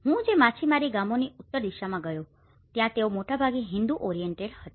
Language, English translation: Gujarati, In the northern side of the fishing villages which I have visited they are mostly Hindu oriented